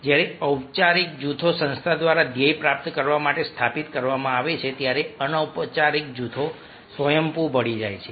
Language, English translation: Gujarati, while formal groups are established by an organization to achieve its goal, informal group merge spontaneously